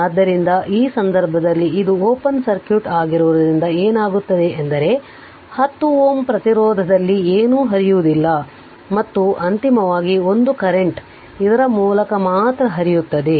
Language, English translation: Kannada, So, in that case what will happen as this is open circuit means it is not there and that means, nothing is flowing in the 10 ohm resistance, and finally a current will flow through this only right